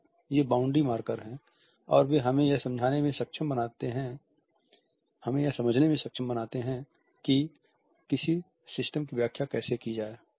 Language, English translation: Hindi, So, these are the boundary markers and they enable us to understand how a system is to be interpreted